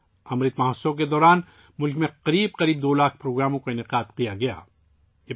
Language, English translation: Urdu, About two lakh programs have been organized in the country during the 'Amrit Mahotsav'